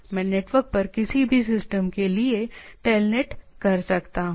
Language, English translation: Hindi, I can do a telnet to a any system over the network right